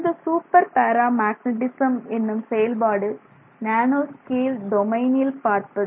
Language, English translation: Tamil, And so this super paramagnetism is a phenomenon that is seen in the nanoscale domain